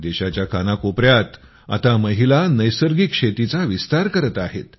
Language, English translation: Marathi, Women are now extending natural farming in every corner of the country